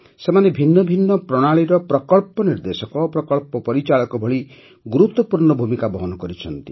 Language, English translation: Odia, They have handled many important responsibilities like project director, project manager of different systems